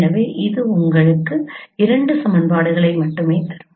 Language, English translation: Tamil, So it will give you me give you only two equations